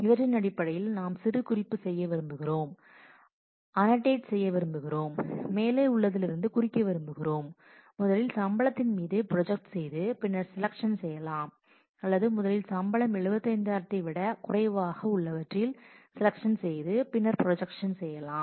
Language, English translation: Tamil, And we would like to based on these we would like to annotate the expression we would like to mark out as to whether from the above to say whether we first project on salary and then do the selection or we first do the selection on salary less than 75000 and then project